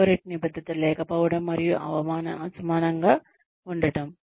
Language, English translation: Telugu, Corporate commitment is lacking and uneven